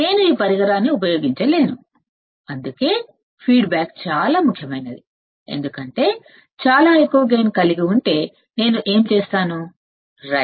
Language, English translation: Telugu, I cannot use this device that is why that is why the feedback is very important right because what will I do if I have gain of very high gain